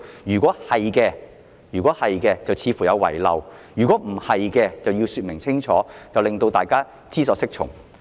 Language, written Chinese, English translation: Cantonese, 如果不是的話，司長便應該清楚說明，令大家知所適從。, If it does there is an omission; if not the Secretary for Justice should give a clear explanation so that we will know what course to take